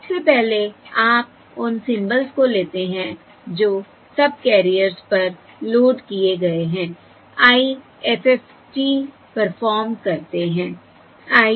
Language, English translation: Hindi, So first you take the symbols which are loaded on to the subcarriers, perform the IFFT